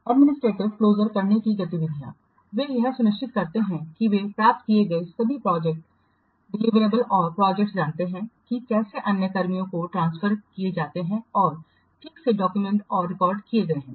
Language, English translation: Hindi, Administrative closure activities consist of ensuring that all the projected deliverables they are achieved and the project know how are transferred to the other personnel and are properly documented and archived